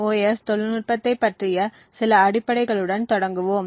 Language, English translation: Tamil, Just start out with some basic fundamentals about CMOS technology